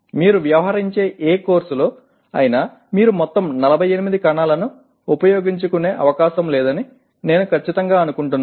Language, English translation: Telugu, that you are dealing with I am sure that you are unlikely to use all the 48 cells